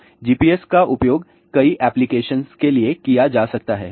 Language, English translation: Hindi, So, GPS can be used for many many application